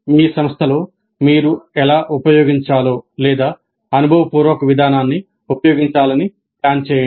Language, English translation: Telugu, Describe how you use or plan to use experiential approach in your institution